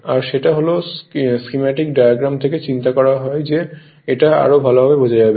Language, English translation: Bengali, And that is from this schematic diagram I thought it will be better your what you call it will be better understanding